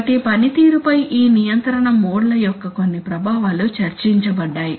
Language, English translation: Telugu, So some effects of these control modes on performance are discussed